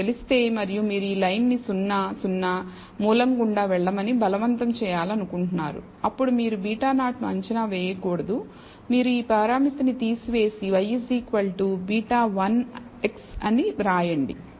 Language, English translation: Telugu, If you know it and you want you want to force this line to pass through 0 0, the origin, then you should not estimate beta 0 you should simply remove this parameter and simply write y is equal to beta 1 x